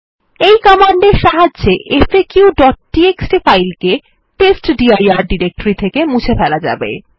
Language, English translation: Bengali, This command will remove the file faq.txt from the /testdir directory